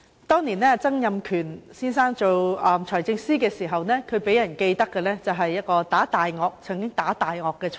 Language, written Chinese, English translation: Cantonese, 當年，曾蔭權先生擔任財政司司長時，他予人的最深刻印象是"打大鱷"，是一位"打大鱷財爺"。, Back then when Mr Donald TSANG was the Financial Secretary we were most impressed by the attempts he made to fight against the predators and he is known as the Financial Secretary who fought against the predator